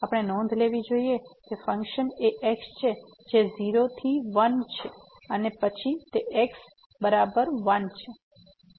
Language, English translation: Gujarati, We should note that because the function is from 0 to 1 and then it is is equal to 1